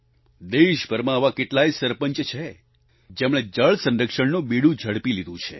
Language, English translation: Gujarati, There are several Sarpanchs across the country who have taken the lead in water conservation